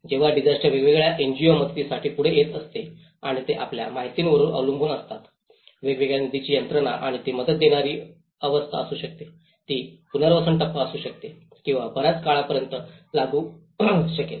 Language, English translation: Marathi, When the disaster strikes different NGOs comes forward for a helping hand and they work on you know, different funding mechanisms and it could be a relief stage, it could be a rehabilitation stage or it could be in a long run it will take up to the recovery and reconstruction stages